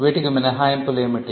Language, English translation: Telugu, What are the exceptions